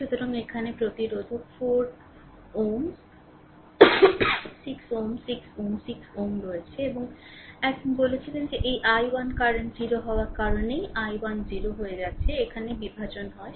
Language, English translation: Bengali, So, this there are 5 resistor 4 ohm 6 ohm 6 ohm 6 ohm and one ah one you told that across that power because this i 1 current is becoming 0 so, i 1 is becoming 0 so, power dissipated here is 0 right